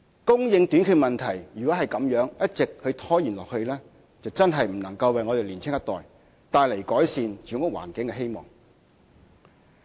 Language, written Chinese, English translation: Cantonese, 供應短缺問題如果一直拖延下去，真的不能為香港年輕一代帶來改善住屋環境的希望。, If the short supply of housing persists there is no hope for people of the younger generation to improve their living environment